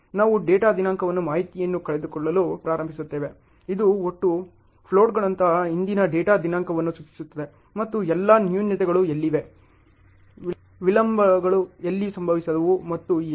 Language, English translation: Kannada, We start losing out the information on the data date, which implies a previous data date like total floats and where are all what happened the flaws, where are the delays happened and so on